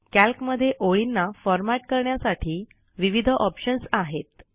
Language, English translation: Marathi, Calc provides various options for formatting multiple lines of text